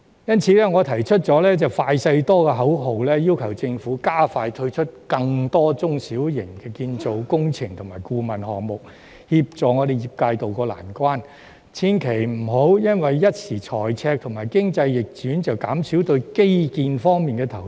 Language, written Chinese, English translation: Cantonese, 因此，我提出"快、細、多"的口號，要求政府加快推出更多中小型建造工程及顧問項目，協助業界渡過難關，千萬別因一時財赤或經濟逆轉便減少基建投資。, As such I have put forth the slogan of quick small and many urging the Government to introduce expeditiously many more small and medium - scale construction works and consultancy projects to help the sector to tide over the difficult times . Infrastructure investment should not be reduced because of the temporary fiscal deficit or the economic downturn